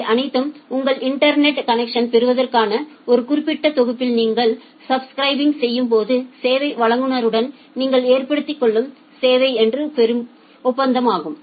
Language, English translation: Tamil, All those things are kind of service level agreement that you have with the service provider whenever you are subscribing for a specific package for getting your internet connection